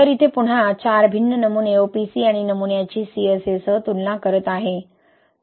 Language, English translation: Marathi, So here again, comparing the four different samples OPC and sample with CSA